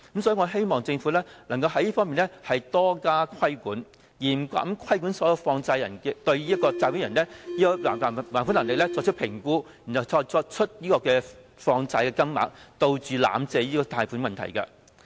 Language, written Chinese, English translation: Cantonese, 所以，我希望政府能在這方面多加規管，嚴格規管所有放債人必須對借款人的還款能力作出評估後才決定放債金額，以杜絕濫發貸款的問題。, Therefore I hope that the Government can step up regulation in this respect to strictly require all money lenders to make assessment of the repayment capacity of the borrowers before deciding to grant loans to them thereby eliminating the problem of money lenders approving loans recklessly